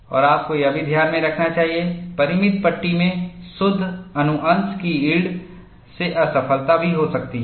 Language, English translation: Hindi, And you should also keep in mind, in finite panels, failure can occur by net section yield also